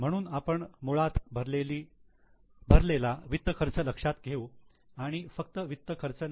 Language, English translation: Marathi, So, we will consider basically the finance cost paid, not just the finance cost